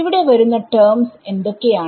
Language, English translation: Malayalam, What are the terms that will come here